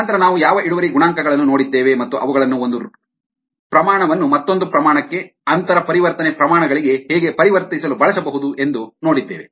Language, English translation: Kannada, then we looked at what yield coefficients, where and how they can be use to inter convert one rate to another rate, ah, inter convert rates